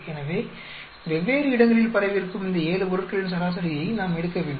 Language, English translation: Tamil, So, we need to take an average of these seven items which are spread in different place